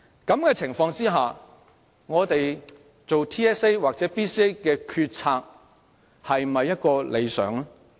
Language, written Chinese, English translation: Cantonese, 在這種情況下，我們就 TSA 或 BCA 所作的決策是否理想？, Under these circumstances will the policies made on TSA or BCA be considered ideal?